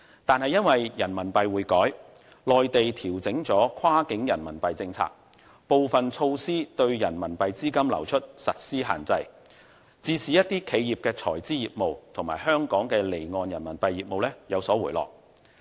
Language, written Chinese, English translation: Cantonese, 但是，因為人民幣匯改，內地調整了跨境人民幣政策，部分措施對人民幣資金流出實施限制，致使企業財資業務及香港離岸人民幣業務有所回落。, Nevertheless in view of the reform of the RMB exchange rate regime the Mainland has adjusted its cross - border RMB policies . Some of the measures limit the outflow of RMB capitals and this has caused a drop in corporate treasury services and Hong Kongs off - shore RMB business